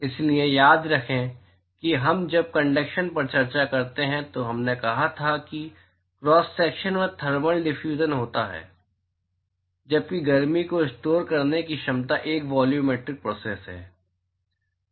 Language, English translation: Hindi, So, remember when we discuss conduction we said that the thermal diffusion occurs across the cross section while the capacity to store heat is a volumetric process